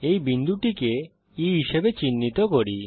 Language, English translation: Bengali, Lets mark this point as E